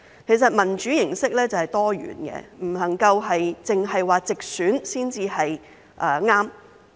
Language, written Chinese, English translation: Cantonese, 其實，民主形式是多元的，不能夠只說直選才是正確。, In fact there are diverse forms of democracy and we cannot say that only direct election is the right one